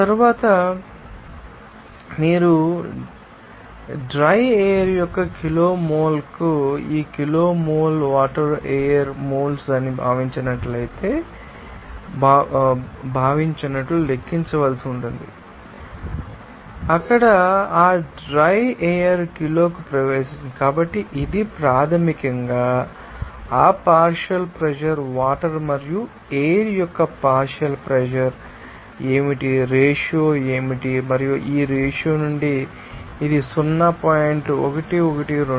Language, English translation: Telugu, After that, you will see that this kg mole of water per kg mole of dry air that you have to calculate that been thought to be the moles of air is entering per kg of you know that dry air there so, it is basically that you know that partial pressure of water and what to be the partial pressure of air, what is the ratio and from this ratio, you can say this will be equal to 0